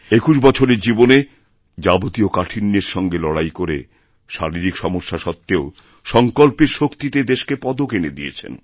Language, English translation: Bengali, Yet despite facing all sorts of difficulties and physical challenges, at the age of 21, through his unwavering determination he won the medal for the country